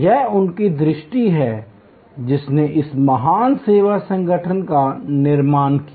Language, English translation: Hindi, It is his vision that created this great service organization